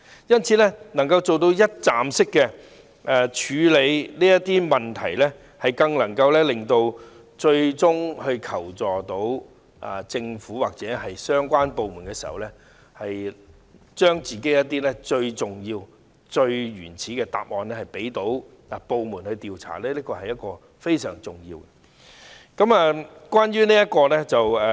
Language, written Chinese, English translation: Cantonese, 因此，支援中心能夠一站式處理這些問題，令那些最終向政府或相關部門求助的受害人，將她們自己最重要、最原始的答案提供予各部門調查，這是非常重要的。, They are thus placed in an extremely difficult situation and they may give up seeking help altogether . This is our greatest worry . It is thus very important that the support centres can handle all these issues in one go so that the victims who ultimately seek help from the Government or related departments can give honest answers to different departments which is very crucial to their interests